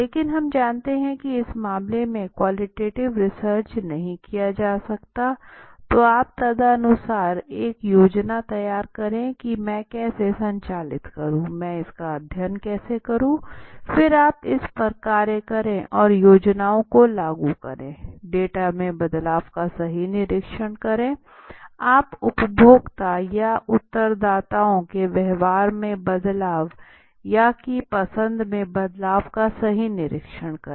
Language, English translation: Hindi, But we know that quantitative research cannot be done in this case suppose then accordingly you devise a plan how do I conduct it how do I conduct the study then you act or implement the plans right observe the change in the data right observe the change in the behavior or the preference of diversity in the consumer or the respondents